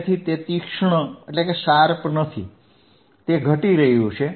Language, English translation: Gujarati, So, it is not sharp, it is you see is this decreasing